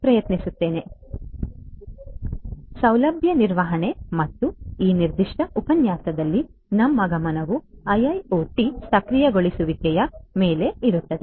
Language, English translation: Kannada, So, facility management and in this particular lecture our focus will be on IIoT enablement so, IIoT enabled facility management